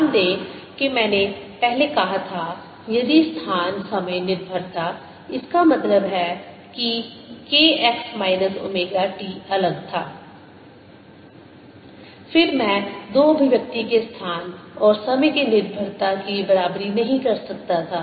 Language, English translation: Hindi, notice that ah, earlier i had said if the space time dependence that means k x minus omega t was different, then i could not have equated this space and time dependence of the two more explicitly